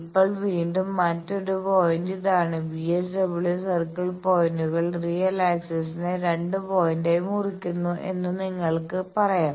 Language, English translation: Malayalam, Now, again another point this is again another point you can say that VSWR circle points cuts real axis as 2 point